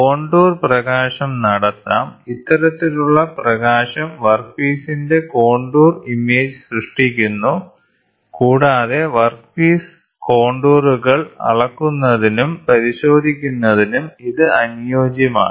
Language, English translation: Malayalam, Contour illumination can be done, this type of illumination generates the contour image of the workpiece and is suited for measurement and inspection of workpiece contours